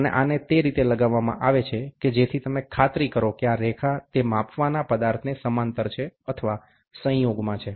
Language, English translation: Gujarati, And this in turn is clamped by this, such that you make sure that this line is in parallel or it is in coincidence with the measuring object